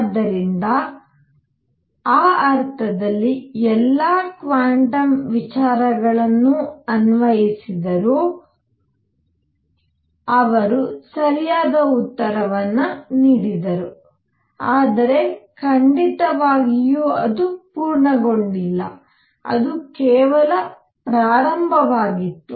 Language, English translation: Kannada, So, in that sense, all though quantum ideas were applied, they gave the right answer, but certainly it was not complete, it was just the beginning